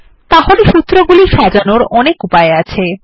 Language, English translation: Bengali, So these are the ways we can format our formulae